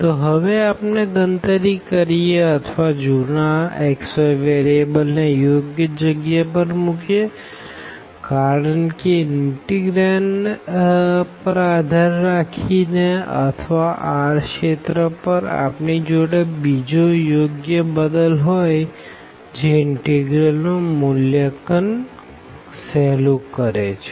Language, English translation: Gujarati, So, with this now we can compute or we can substitute the old variables here x y to some suitable because depending on again the integrand or the region r we may have some other suitable substitution, which makes the integral evaluation easier